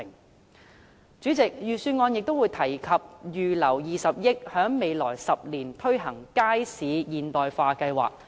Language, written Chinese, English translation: Cantonese, 代理主席，預算案亦提及預留20億元，在未來10年推行街市現代化計劃。, Deputy Chairman it was also mentioned in the Budget that 2 billion would be earmarked for implementing a Market Modernisation Programme over the next 10 years